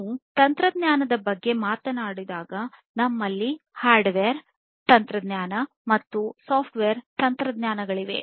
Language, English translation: Kannada, So, when we are talking about technology basically we have the hardware technology and the software technologies, right